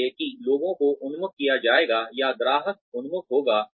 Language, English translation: Hindi, So, that would be people oriented, or customer oriented